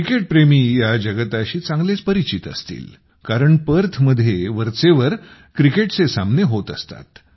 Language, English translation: Marathi, Cricket lovers must be well acquainted with the place since cricket matches are often held there